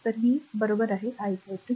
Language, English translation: Marathi, So, v is equal i is equal to Gv